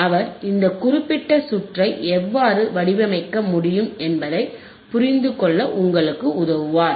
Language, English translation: Tamil, and h He will help us to understand how we can design this particular circuit